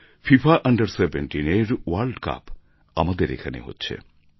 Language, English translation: Bengali, FIFA under 17 world cup is being organized in our country